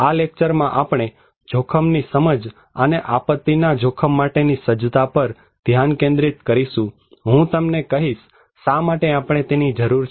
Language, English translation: Gujarati, In this lecture, we will focus on risk perception and disaster risk preparedness, I will tell you that why we need